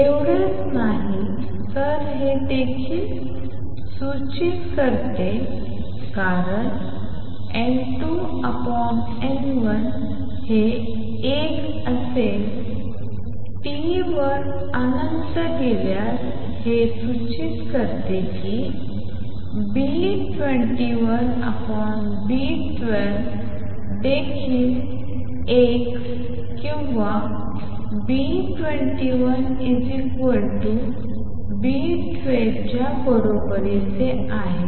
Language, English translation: Marathi, Not only that it also indicates since N 2 over and N1 goes to 1 for T going to infinity that B 2 1 over B 12 is also equal to 1 or B 2 1 equals B 12